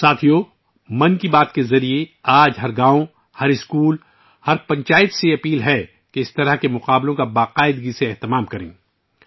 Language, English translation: Urdu, Friends, through 'Mann Ki Baat', today I request every village, every school, everypanchayat to organize such competitions regularly